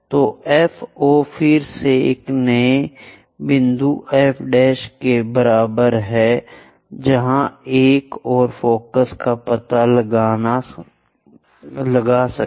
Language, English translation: Hindi, So, FO again equal to this new point F prime where another focus one can really locate it